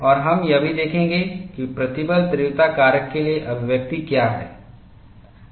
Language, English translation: Hindi, And we would also see, what is the expression for stress intensity factor